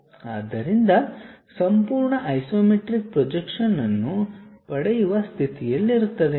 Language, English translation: Kannada, So, that a complete isometric projection one will be in a position to get